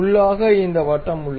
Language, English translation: Tamil, So, internally we have this circle